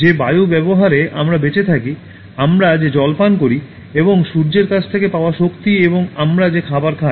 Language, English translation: Bengali, The air we breathe by which we survive, the water we drink, and the energy we get from Sun and the food we eat